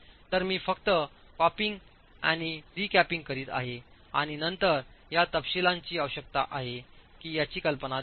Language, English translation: Marathi, So I'm just capping and recapping and then giving you an idea of what these detailing requirements would be